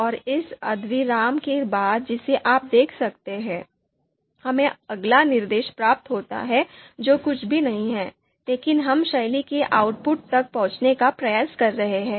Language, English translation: Hindi, And will this semicolon that you see, this is after the semicolon we get the next instruction which is nothing but we are trying to view the access the output of style